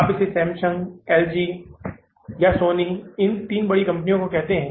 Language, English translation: Hindi, You call it Samsung, LG or Sony, these three bigger companies, right